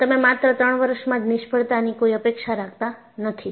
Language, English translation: Gujarati, And, you do not expect a failure to happen in just 3 years